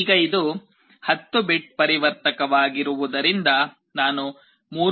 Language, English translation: Kannada, Now, since it is a 10 bit converter, if I connect a 3